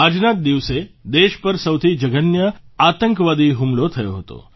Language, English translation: Gujarati, It was on this very day that the country had come under the most dastardly terror attack